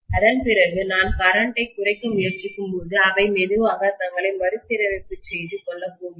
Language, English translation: Tamil, After that when I am trying to reduce the current, they are going to slowly realign themselves